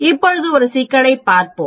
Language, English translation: Tamil, Now let us look at a problem